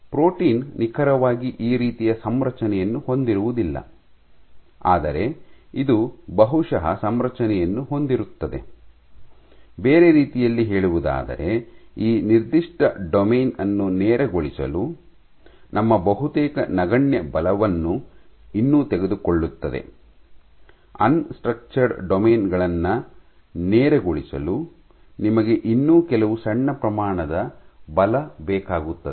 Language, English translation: Kannada, Now because it is unstructured it would not exactly be present like that the protein would not have a configuration exactly like this, but it will have a configuration probably, in other words it will still take little bit of our almost negligible force to straighten this particular domain, you would still require some small amount of force to straighten the unstructured domains